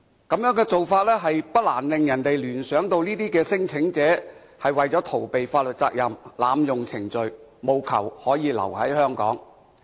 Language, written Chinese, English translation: Cantonese, 這種做法不難令人聯想到，這些聲請者是為了逃避法律責任，濫用程序，務求可以留在香港。, It is thus only natural for people to think that such claimants actually intend to abuse the procedures so as to avoid legal liability and stay in Hong Kong